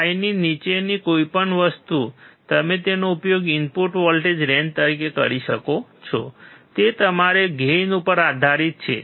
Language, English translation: Gujarati, 5 only, you can use it as the input voltage range so, that depends on your gain